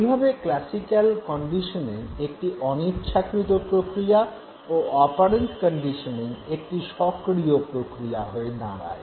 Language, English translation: Bengali, Classical conditioning becomes a passive process whereas operant conditioning becomes an active process